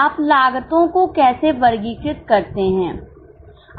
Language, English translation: Hindi, How do you classify the cost